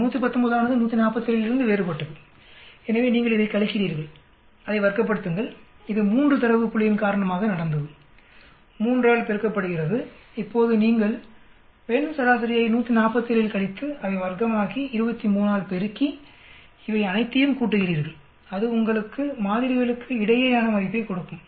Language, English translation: Tamil, This 119 is different from 147,so you subtract this, square it up, this has happened because of 3 data point, multiplied by 3, now you subtract the female average in 147, square it up, multiply by 3, you add all these that will give you between samples